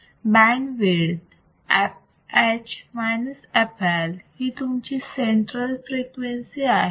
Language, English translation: Marathi, So, you have this right f L f H right and this will be center frequency